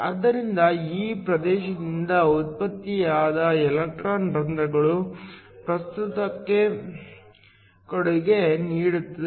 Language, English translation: Kannada, So, Electron holes generated from this region contribute to the current